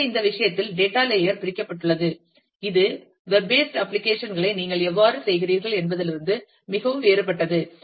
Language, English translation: Tamil, So, the data layer is split in this case, which is very different from how you do the web based applications